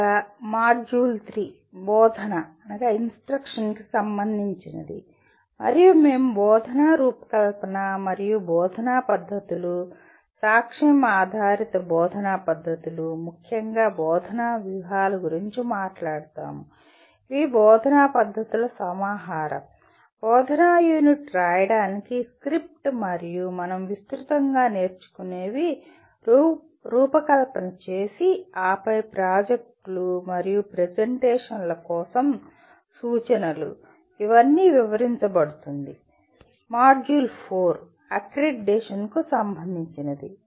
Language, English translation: Telugu, And module 3 is related to “instruction” and we will talk about instruction design and instructional methods, evidence based instructional methods particularly instructional strategies which are nothing but a collection of instructional methods, script for writing an instructional unit and what we broadly call as learning design and then also look at instruction for projects and presentations